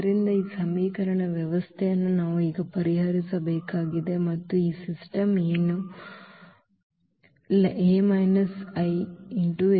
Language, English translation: Kannada, So, this system of equation we have to solve now and what is the system now A minus 1